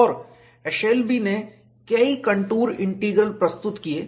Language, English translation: Hindi, And, Eshelby introduced a number of contour integrals